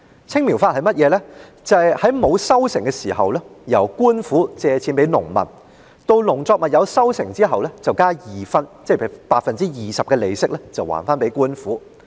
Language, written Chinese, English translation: Cantonese, "青苗法"是在農作物沒有收成時由官府向農民借貸，及至農作物有收成後便加二分的利息歸還官府。, Under the Green Sprouts program the government gave loans to peasants before harvesting and after harvesting the peasants repaid loans to the government plus an interest of 20 %